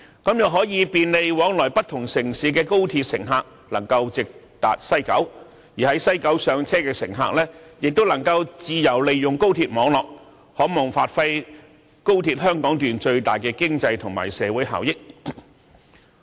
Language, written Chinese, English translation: Cantonese, 這樣可以便利往來不同城市的高鐵乘客能夠直達西九，而在西九站上車的乘客亦能夠自由利用高鐵網絡，可望發揮高鐵香港段最大的經濟和社會效益。, 3 for Guilin Line . This is the concept . In this way XRL passengers travelling to and from different cities can reach West Kowloon direct while passengers boarding in the West Kowloon Station can also use the XRL network freely thus maximizing the economic and social benefits of Hong Kong section of XRL